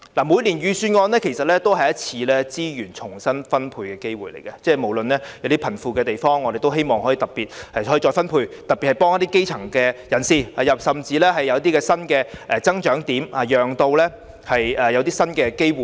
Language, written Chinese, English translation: Cantonese, 每年的預算案其實也是一次資源重新分配的機會，包括從貧富方面看看如何再分配，特別是要幫助基層人士，甚至可以有一些新的增長點，從而帶來新的機會。, Every years budget is actually a chance for redistribution of resources such as looking into how resources can be redistributed from the angle of the wealth gap particularly for the purpose of providing assistance to the grass - roots people . What is more some new growth points can be identified in order to provide new opportunities